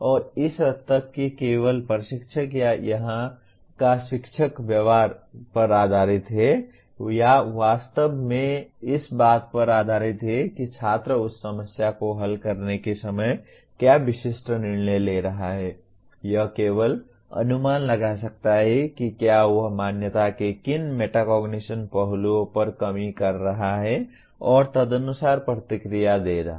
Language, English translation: Hindi, And to that extent the only coach or here the teacher based on the behavior or actually based on what specific decisions the student is making at the time of solving the problem he only can guess whether to on what aspects of metacognition he is deficient and give feedback accordingly